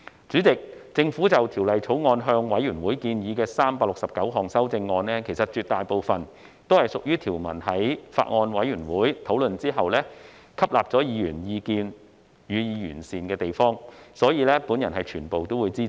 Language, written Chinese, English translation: Cantonese, 主席，政府就《條例草案》向委員會建議的369項修正案，絕大部分是經法案委員會討論條文後，吸納議員意見予以完善的地方，所以，我全部均會支持。, Chairman the 369 amendments to the Bill proposed by the Government to the Bills Committee are mostly improved provisions incorporating Members views after discussion in the Bills Committee . Hence I will support all of them . I so submit